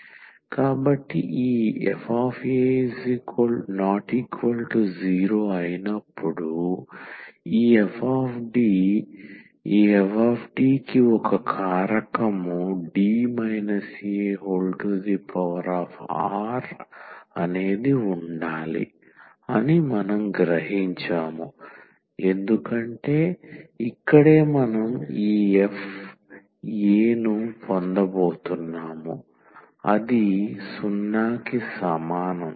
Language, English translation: Telugu, So, in the case when this f a is equal to 0 then this f D what we realize that this f D must have a factor D minus a power r, because that is the reason here we are going getting this f a is equal to 0